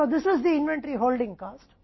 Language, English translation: Hindi, Now, what is the inventory holding cost